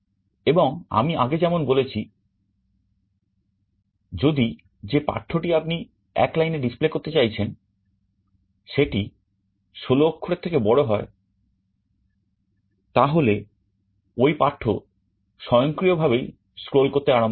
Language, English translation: Bengali, And as I said earlier, if the text you are trying to display on a line is greater than 16 then automatically the text will start to scroll